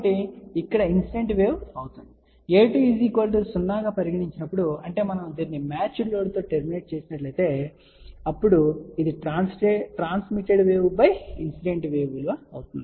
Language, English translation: Telugu, Incident wave over here; provided a 2 is equal to 0 so that means, if we terminate this thing into a match load, then what is the transmitted wave to this particular value divided by the incident